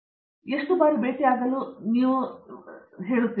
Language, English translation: Kannada, How often should you think they should meet